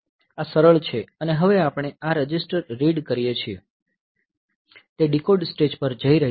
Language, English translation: Gujarati, So, this is simplified and now, we this register read is going to the decode stage